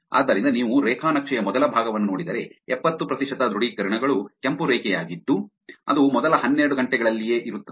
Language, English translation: Kannada, So, if you look at the first part of graph, 70 percent of authentications which is the red line which is actually in the first 12 hours itself